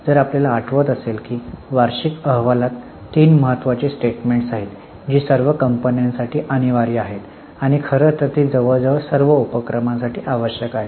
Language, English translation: Marathi, If you remember there are three important statements in an annual report which are mandatory for all the companies and in fact they are required for almost all the undertakings